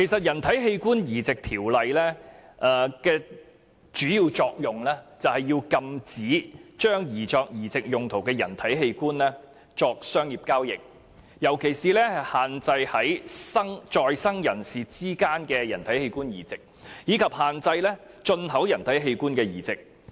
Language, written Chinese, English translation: Cantonese, 《人體器官移植條例》的主要作用是禁止將擬作移植用途的人體器官作商業交易，尤其是限制在生人士之間的人體器官移植，以及限制進口人體器官的移植。, The main objective of the Human Organ Transplant Ordinance Cap . 465 is to prohibit commercial dealings in human organs intended for transplanting and in particular to restrict the transplanting of human organs between living persons and the transplanting of imported human organs